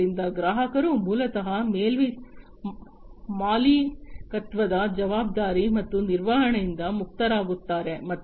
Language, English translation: Kannada, So, customer is basically relieved from the responsibility of ownership, and maintenance